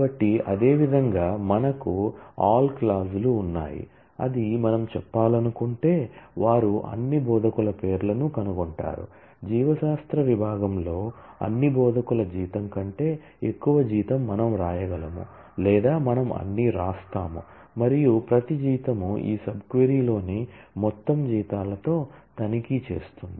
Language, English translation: Telugu, So, similarly we have an all clause which say that if we want to say, they find the names of all instructors; whose salary is greater than the salary of all instructors in the biology department in case of sum we can write or we will write all and it will check every salary will check with the whole set of salaries in this sub query